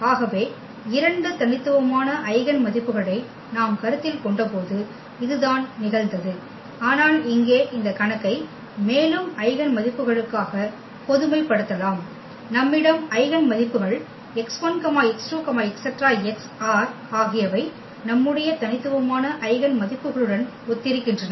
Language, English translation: Tamil, So, this was the case when we have considered two distinct eigenvalues, but we can also generalize this case for more eigenvalues for instance here, we have eigenvalues x 1, x 2, x 3, x r are corresponding to our distinct eigenvalues here